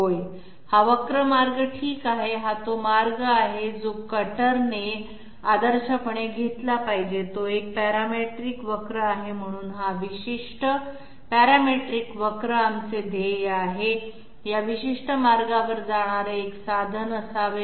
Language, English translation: Marathi, This curvilinear path okay, this is the path which is the path which should ideally be taken by the cutter, it is a parametric curve, so this particular parametric curve is our goal, the tool should be moving along this particular path